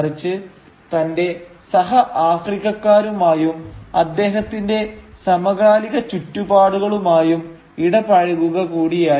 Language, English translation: Malayalam, It is also about engaging with the fellow Africans and with the contemporary African milieu